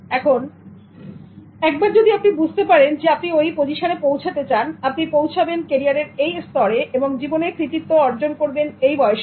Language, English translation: Bengali, Now, once you understand that you will reach a position, you will reach a level in your career and you will achieve this in your life at this age